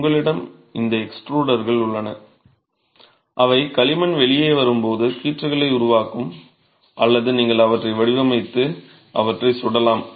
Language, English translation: Tamil, So, you have these extruders which will create strips as the clay comes out or you mould them and fire them